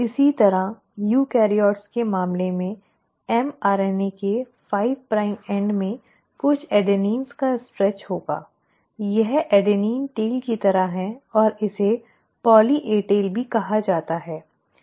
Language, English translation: Hindi, Similarly the 3 prime end of the mRNA in case of eukaryotes will have a stretch of a few adenines, this is like an adenine tail and this is also called as a poly A tail